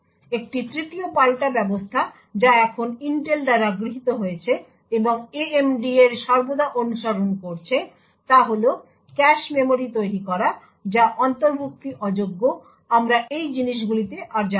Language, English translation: Bengali, A 3rd countermeasure which is now adopted by Intel and has always been followed by AMD is to create cache memories which are non inclusive, we will not go further into these things